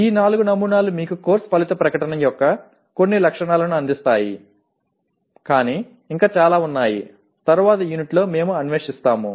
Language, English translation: Telugu, These four samples give, present you some features of course outcome statements but there is lot more which we will explore in the later unit